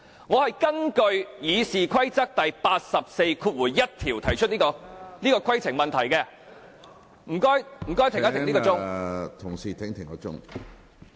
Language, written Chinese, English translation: Cantonese, 我根據《議事規則》第841條，提出這項規程問題，請暫停計時。, I will raise a point of order under Rule 841 of the RoP . Please pause the timer